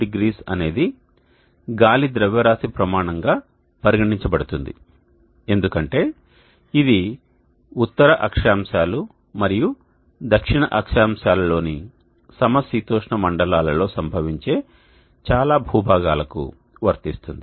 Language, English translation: Telugu, 20 Zenith angle is considered as the air mass standard as this is applicable for most of the land masses which are occurring at the temperate zones in the northern latitudes and the southern latitudes one more point before